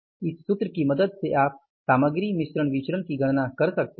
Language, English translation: Hindi, Now with the help of this formula you can calculate the material mix variance